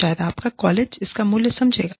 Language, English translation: Hindi, Maybe, your college will recognize it